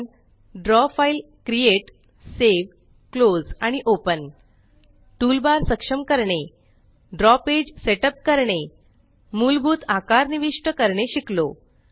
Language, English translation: Marathi, We will also learn how to: Create, save, close and open a Draw file, Enable toolbars, Set up the Draw page, And insert basic shapes